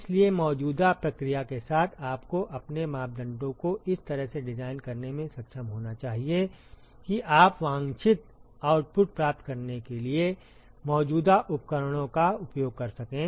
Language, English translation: Hindi, So, with the existing process you should be able to design your parameters such that you can use the existing equipment in order to achieve the desired output